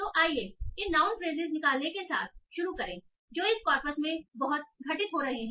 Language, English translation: Hindi, So let us start by extracting these noun phages that are occurring a lot in this corpus